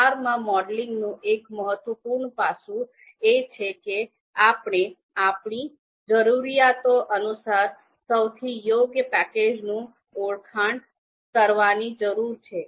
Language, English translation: Gujarati, So one important aspect of you know modeling in R is that we need to identify the relevant package, most appropriate package as per our requirements